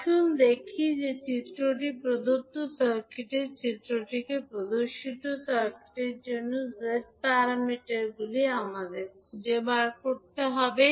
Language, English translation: Bengali, Let us see the circuit which is given in the figure we need to find out the Z parameters for the circuit shown in the figure